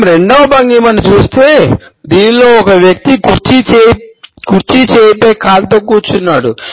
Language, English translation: Telugu, If we look at the second posture; in which a person is sitting with a leg over the arm of the chair